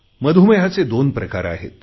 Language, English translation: Marathi, Diabetes is of two types Type 1 and Type 2